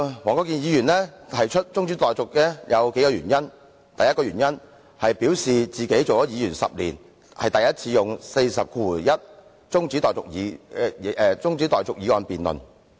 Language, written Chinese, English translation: Cantonese, 黃國健議員動議中止待續議案有數個原因，第一，他表示出任議員10年才首次引用《議事規則》第401條動議中止待續議案。, Mr WONG Kwok - kin moved the adjournment motion for several reasons . First he said he has been a Member for 10 years and this is the first time he has ever invoked Rule 401 of the Rules of Procedure RoP to move an adjournment motion